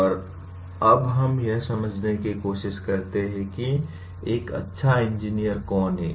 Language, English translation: Hindi, Where do we find who is a good engineer